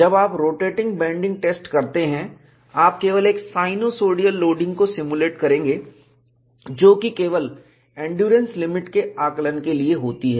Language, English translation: Hindi, When you do the rotating bending test, you will simulate only a sinusoidal loading, which is only for evaluating the endurance limit